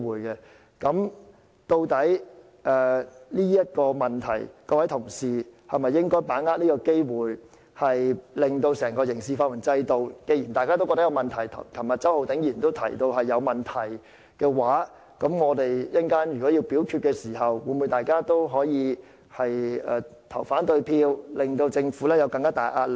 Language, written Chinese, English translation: Cantonese, 究竟在這個問題上，各位同事應否把握這個機會令整個刑事法援制度作出改革，既然大家也覺得有問題，正如周浩鼎議員昨天也提到存在問題，我們稍後表決時，大家會否投反對票，向政府施加更大壓力？, As regards the issue exactly should all Honourable colleagues seize the opportunity to reform the entire criminal legal aid system? . As we all find it problematic just as Mr Holden CHOW also mentioned yesterday that there are problems should we not vote against the question when it is put to the vote so as to exert more pressure on the Government?